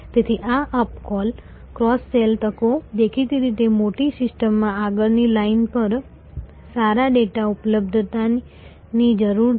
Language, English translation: Gujarati, So, these up sell ,cross sell opportunities; obviously, in a large system needs availability of good data at the front line